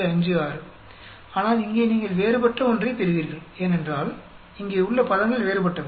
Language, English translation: Tamil, 56, but here you will get different, because the terms here are different here